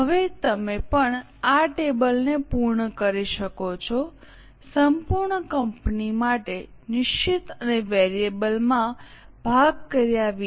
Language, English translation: Gujarati, Okay, now you can also complete this table for whole of the company without breaking into fixed and variable